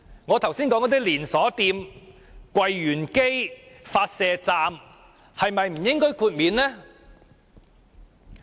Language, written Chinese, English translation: Cantonese, 我剛才提到的連鎖店、櫃員機、發射站是否不應獲得豁免？, Should chain stores ATM machines and broadcasting stations mentioned previously not be exempted?